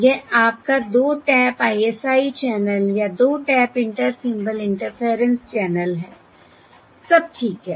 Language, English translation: Hindi, This is your 2 tap, this is your 2 tap ISI channel or 2 tap Inter Symbol, Interference channel